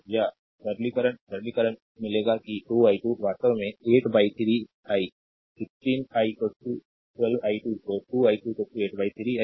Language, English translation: Hindi, Or upon simplification, right upon simplification, you will get that 2 i 2 is equal to actually 8 upon 3 i, right 16 i is equal to 12 i 2 so, 2 i 2 is equal to 8 upon 3 i